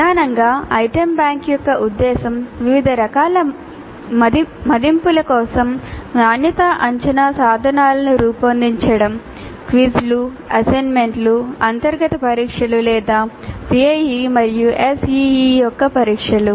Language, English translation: Telugu, So, primarily the purpose of an item bank is to design quality assessment instruments for a variety of assessments, quizzes, assignments, internal tests or tests of CIE and SEA